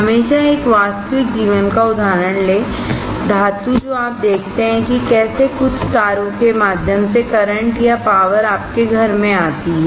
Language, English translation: Hindi, Always take a real life example, metal, what you see right how the current comes or how the power comes to your home through some wires